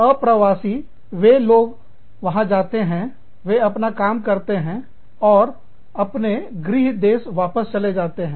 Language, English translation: Hindi, Inpatriates, these people go there, they do their work, and they come back, to their home country